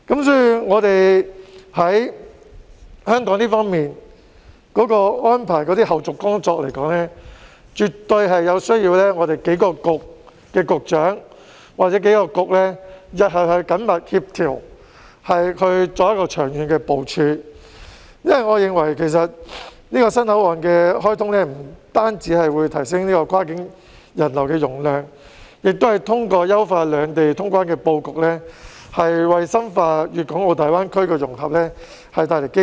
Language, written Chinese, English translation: Cantonese, 所以，香港方面的安排和後續工作，絕對需要數個政策局局長或數個政策局日後緊密協調，作長遠的部署，因為我認為這個新口岸的開通不但可以提升跨境人流的容量，也通過優化兩地通關的布局，為深化粵港澳大灣區的融合帶來機遇。, Therefore the arrangements and follow - up tasks on the part of Hong Kong definitely require close coordination in future among several Directors of Bureaux or several Bureaux for long - term planning because I hold that the opening of this new port will not only increase the capacity for cross - boundary passenger traffic but also bring about opportunities to deepen the integration of the Guangdong - Hong Kong - Macao Greater Bay Area by optimizing the setting for customs clearance between the two places